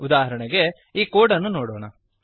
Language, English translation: Kannada, For example, consider the code